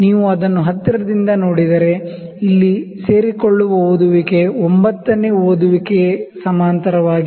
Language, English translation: Kannada, If you see it closely the reading that is coinciding here the 9th reading is coinciding